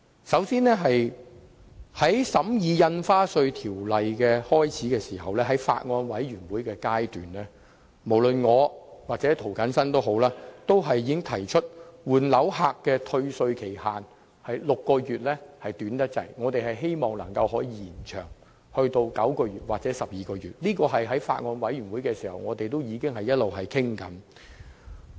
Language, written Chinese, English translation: Cantonese, 首先，在一開始審議《2017年印花稅條例草案》時，即法案委員會階段，無論我或涂謹申議員均曾經指出，換樓人士的6個月退稅期限過於短暫，希望可以延長至9個月或12個月，這項建議在法案委員會階段已經開始討論。, First of all when the Stamp Duty Amendment Bill 2017 the Bill was first examined at the stage of the Bills Committee both Mr James TO and I had pointed out that the six - month period for refund of paid stamp duty was too short for people replacing properties . We hoped that it could be extended to 9 months or 12 months and discussion of this proposal had commenced at the Bills Committee